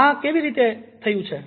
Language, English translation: Gujarati, why it has happened